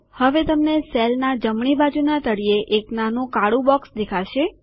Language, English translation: Gujarati, You will now see a small black box at the bottom right hand corner of the cell